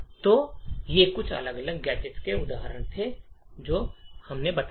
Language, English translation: Hindi, So, these were some of the examples of different gadgets that we have created